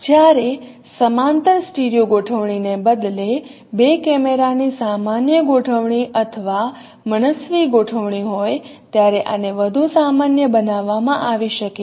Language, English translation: Gujarati, This could be further generalized when we have a general configuration or arbitrary configuration of two cameras instead of having a parallel studio configuration